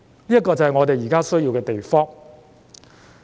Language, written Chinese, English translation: Cantonese, 這就是我們現時需要的東西。, This is the very thing we need right now